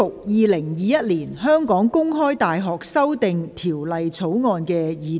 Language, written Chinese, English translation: Cantonese, 《2021年香港公開大學條例草案》。, The Open University of Hong Kong Amendment Bill 2021